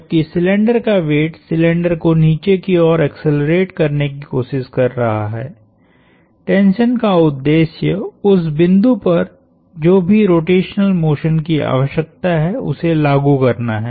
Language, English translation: Hindi, While the weight of the cylinder is trying to accelerate the cylinder in a downward sense, the purpose of the tension is to add whatever rotational motion is needed at that point